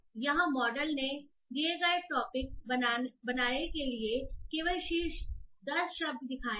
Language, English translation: Hindi, So here the model has shown only top 10 words for the given topic